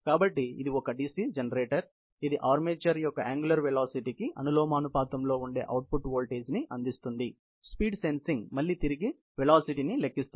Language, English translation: Telugu, So, it is a DC generator, which provides an output voltage, proportional to the angular velocity of the armature, which will be able to again, back calculate the type of you know the speed sensing that is going on